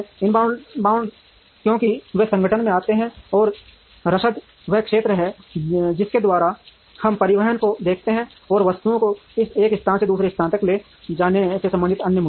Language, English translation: Hindi, Inbound because they come into the organization and logistics is the area by which we look at transportation, and other issues related to transporting items from one place to another